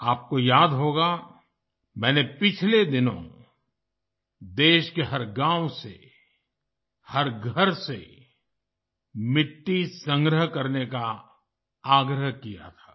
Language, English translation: Hindi, You might remember that recently I had urged you to collect soil from every village, every house in the country